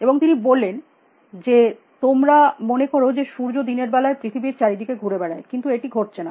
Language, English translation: Bengali, And he said that, you thing at the sun is going around the earth during the day, but that is not what is happening